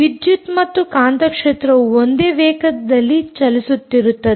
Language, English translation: Kannada, electric field and magnetic field, as simple as that, traveling with the same speed